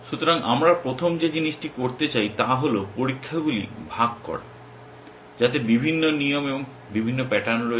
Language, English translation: Bengali, So, the first thing that we would like to do is to share the tests the different rules are doing and different patterns are doing